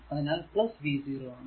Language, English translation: Malayalam, So, I am writing from v 0